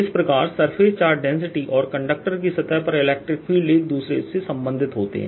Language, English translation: Hindi, this is how surface charge density and the electric field on the surface of conductor are related